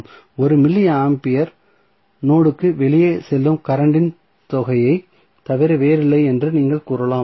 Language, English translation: Tamil, So, what you can say you can say 1 milli ampere is nothing but the sum of current going outside the node